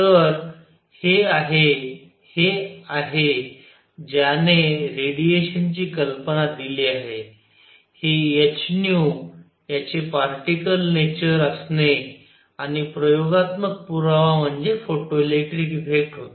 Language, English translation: Marathi, So, this is this is what what gave the idea of radiation; also having this particle nature of h nu and experimental evidence was photoelectric effect